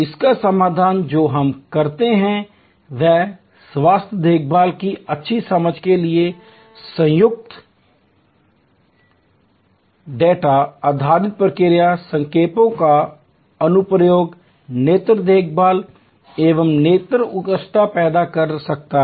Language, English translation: Hindi, The solution that we do this is what application of data based process signs combined with good understanding of health care, eye care one can create service excellence